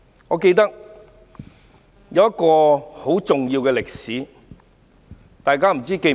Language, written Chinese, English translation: Cantonese, 我記得一段很重要的歷史。, I remember a very important period in history